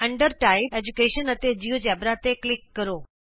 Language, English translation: Punjabi, Under Type, Education and Geogebra